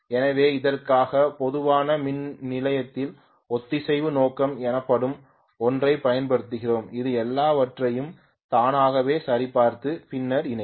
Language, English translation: Tamil, So for this generally we use something called synchro scope in the power station which actually would check automatically everything and then connect it, okay